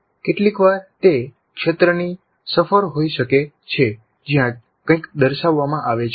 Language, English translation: Gujarati, Sometimes it can be a field trip where something is demonstrated